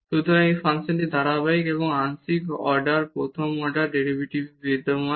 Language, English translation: Bengali, So, this function is continuous and the partial order first order derivatives exist